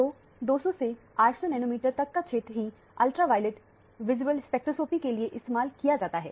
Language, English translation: Hindi, So, the region between 200 to 800 nanometer is what is used for the ultraviolet visible spectroscopy